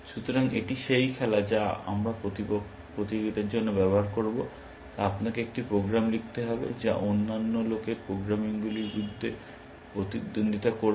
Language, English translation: Bengali, So, that is the game that we will use for the competition, you will have to write a program, which will compete against other peoples programs